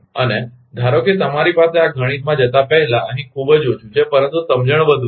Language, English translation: Gujarati, And suppose suppose you have before going to this mathematics is very less here, but understanding is more